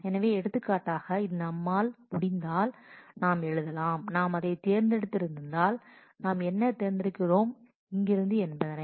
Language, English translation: Tamil, So, for example, if this is we can we can simply write out say if we have select and what are we selecting here